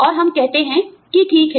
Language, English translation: Hindi, And, we say okay